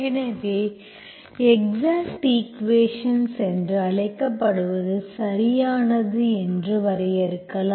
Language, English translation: Tamil, So I will give you what is called exact equation, so we will define what exact is